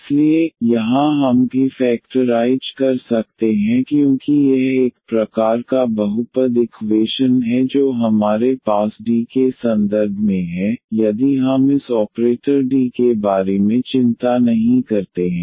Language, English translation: Hindi, So, here also we can like factorize because this is a kind of polynomial equation we have in terms of D if we do not worry about this operator D